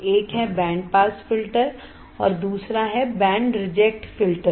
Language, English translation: Hindi, One is band pass filter and another one is band reject filters